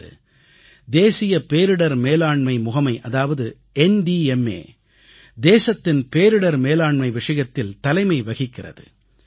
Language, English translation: Tamil, Today, the National Disaster Management Authority, NDMA is the vanguard when it comes to dealing with disasters in the country